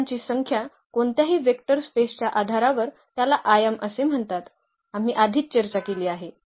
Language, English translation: Marathi, And the number of elements in any basis of a vector space is called the dimension which we have already discussed